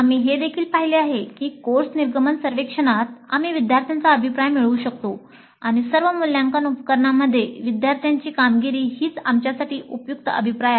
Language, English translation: Marathi, We also saw that during the course exit survey we can get student feedback and student performance in all assessment instruments itself constitutes useful feedback for us